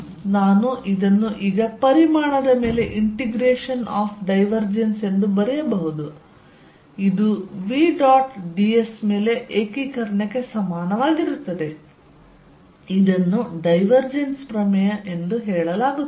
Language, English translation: Kannada, So, this I can write now as integration of divergence over the volume is going to be equal to integration over v dot d s, this is known as divergence theorem